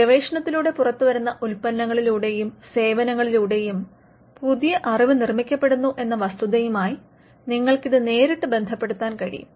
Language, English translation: Malayalam, You can directly relate it to, the fact that products and services can come out of the research, which produces new knowledge